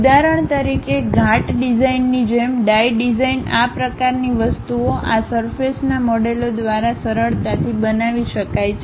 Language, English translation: Gujarati, For example: like mold designs, die design this kind of things can be easily constructed by this surface models